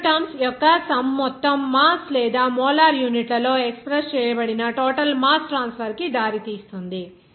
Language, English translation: Telugu, The sum of these two terms then leads to the total mass transfer whether expressed in mass or molar units